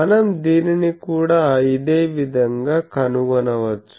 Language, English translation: Telugu, So, we can similarly find this